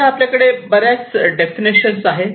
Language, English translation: Marathi, So far, we have so many definitions are there